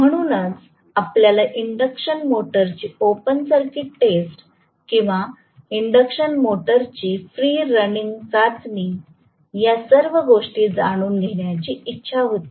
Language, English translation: Marathi, So, I have got all that I wanted to know all those from open circuited test of an induction motor or free running test of an induction motor